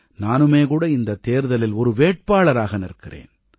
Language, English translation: Tamil, I myself will also be a candidate during this election